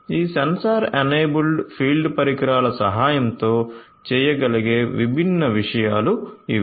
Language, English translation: Telugu, So, these are the different things that can be done with the help of these sensor enabled field devices